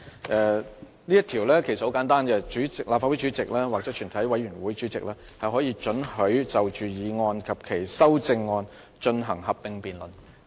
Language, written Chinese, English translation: Cantonese, 這條規則其實很簡單，即立法會主席或全體委員會主席可准許就擬議決議案及修訂議案進行合併辯論。, This is actually a very simple rule under which the President or Chairman may allow a joint debate on the proposed resolutions and the amending motions